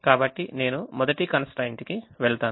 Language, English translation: Telugu, now i have to go to the second constraint